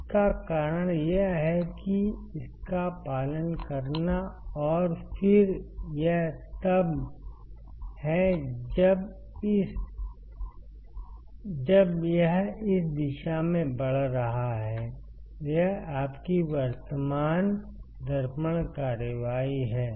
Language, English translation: Hindi, This is because it has to follow and then this is when it is increasing in this one in this direction, this is your current mirror action